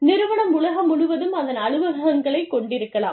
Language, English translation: Tamil, And, the company may have its offices, all over the world